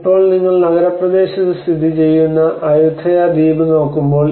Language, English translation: Malayalam, So now when you look at the Ayutthaya island which is located in the urban area